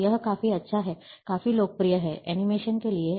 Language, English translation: Hindi, So it is quite good, quite popular, for animations